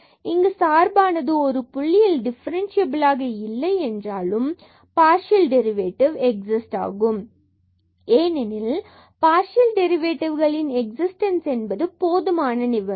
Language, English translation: Tamil, And here the function may not be differentiable at a point even if partial derivative is exist, because the existence of partial derivatives is a sufficient condition for differentiability it is not necessary condition